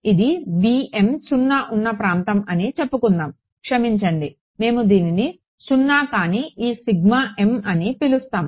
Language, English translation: Telugu, So, wait so, let us say that this is the region where this b m is 0 so, we call this non zero sorry this sigma m it